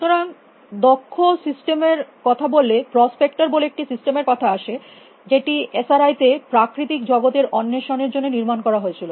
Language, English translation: Bengali, So, it talking about experts systems the system called prospector, which was built at the SRI for prospecting the natural world